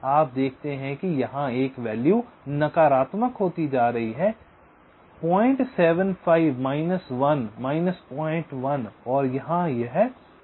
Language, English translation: Hindi, you see, one value is becoming negative here: point seven, five minus one minus point one, and here it will become point nine, five